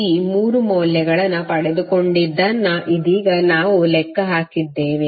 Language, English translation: Kannada, You have got these 3 values that what we calculated just now